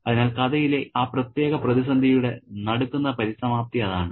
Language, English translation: Malayalam, So, that is the shock closure to that particular crisis in the story